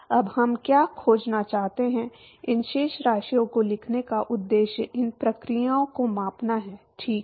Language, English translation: Hindi, Now what do we want to find, the purpose of writing these balances is to quantify these processes, right